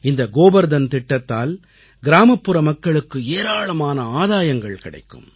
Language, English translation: Tamil, Under the aegis of 'GobarDhanYojana', many benefits will accrue to rural areas